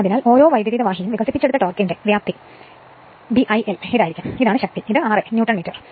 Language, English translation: Malayalam, Therefore, the magnitude of the torque developed by each conductor will be B I l, this is the force into r a Newton metre right